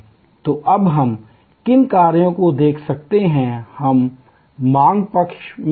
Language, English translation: Hindi, So, now, we can look at what actions can we take on the demand side